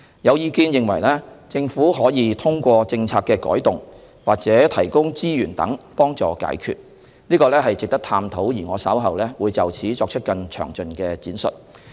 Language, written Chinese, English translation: Cantonese, 有意見認為，政府可以通過政策的修訂或提供資源等途徑解決問題，這值得探討，而我稍後會就此作出更詳盡闡述。, Some people consider that the Government may resolve the issue through the revision of policies or the provision of resources . It is worth exploring . I will further elaborate on that question later on